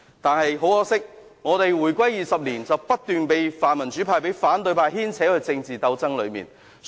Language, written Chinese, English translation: Cantonese, 但是，很可惜，香港回歸20年來，不斷被泛民主派和反對派牽扯入政治鬥爭。, But sadly over the past 20 years after the reunification Hong Kong has been continually dragged into political struggles by the pan - democrats and oppositionists